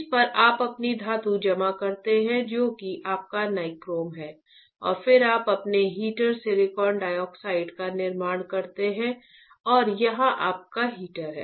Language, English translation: Hindi, On this you deposit your metal which is your nichrome and then you fabricate your heater silicon dioxide silicon and you have your heater here right